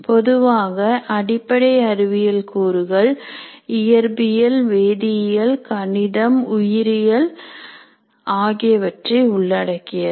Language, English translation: Tamil, Basic sciences normally constitute physics, chemistry, mathematics, biology, such things